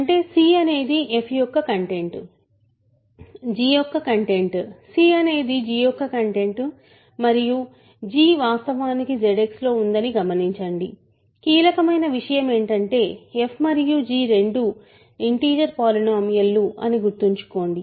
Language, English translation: Telugu, That means c is the content of f; content of g right; c is the content of g and note that g is actually in Z X, remember that is the hypothesis the crucial thing is f and g are both integer polynomials